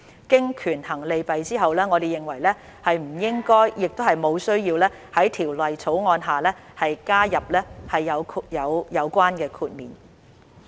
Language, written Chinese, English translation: Cantonese, 經權衡利弊後，我們認為不應亦無需要在《條例草案》下加入有關豁免。, Having weighed the pros and cons we do not consider it appropriate or necessary to include such an exemption under the Bill